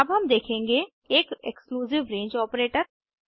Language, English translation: Hindi, Now we will see an exclusive range operator